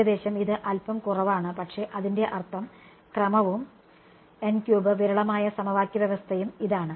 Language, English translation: Malayalam, Roughly it is little bit less, but its order of n cube and for the sparse system of equation it is